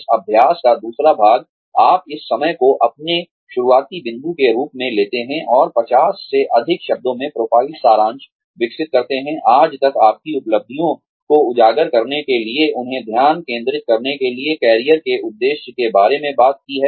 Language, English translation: Hindi, The second part of this exercise, you take this time, as your starting point, and develop a profile summary, of not more than 50 words, to highlight your achievements till date, and focus them towards, the career objective, you have talked about, earlier